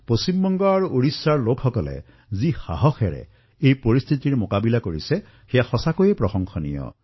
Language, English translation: Assamese, The courage and bravery with which the people of West Bengal and Odisha have faced the ordeal is commendable